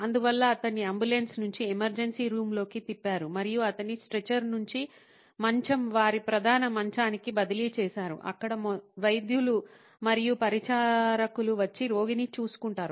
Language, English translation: Telugu, So, he was wheeled in from the ambulance into the emergency room and he was transferred from the stretcher, the bed on to their main bed where the doctors and the attendants would come and take care of the patient